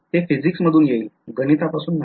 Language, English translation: Marathi, This will come from physics not math